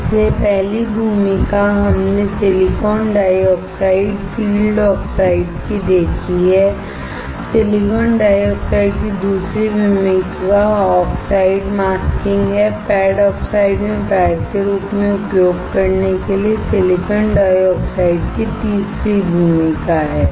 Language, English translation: Hindi, So, first role we have seen of silicon dioxide field oxides; second role of silicon dioxide is masking oxide; third role of silicon dioxide is to use as a pad in the pad oxides